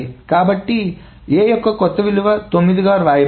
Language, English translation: Telugu, So, A is written the new value of 9